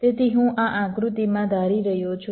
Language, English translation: Gujarati, let say so i am assuming in this diagram